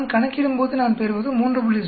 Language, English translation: Tamil, When I calculate I get 3